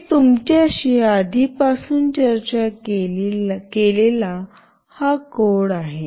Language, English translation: Marathi, The code I have already discussed with you